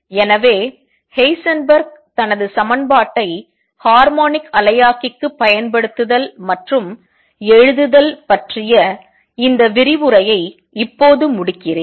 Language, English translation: Tamil, So, let me now conclude this lecture on Heisenberg’s application of his equation to harmonic oscillator and write